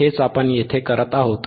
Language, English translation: Marathi, This is what we are doing here, right